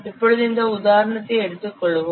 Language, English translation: Tamil, Now let's take this example